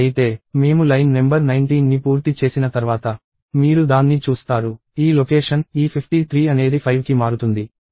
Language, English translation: Telugu, So, if… Once I finish line number 19, you will see that, this location – this 53 will change to 5